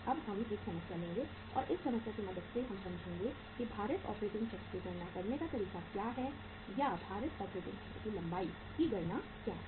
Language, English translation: Hindi, Now we will do a problem and with the help of that problem we will understand that what is the way to calculate the weighted operating cycle or what is the length of calculating the weighted operating cycle